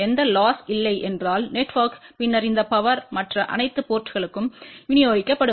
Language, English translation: Tamil, If there is a no loss within the network then this power will get distributed to all the other ports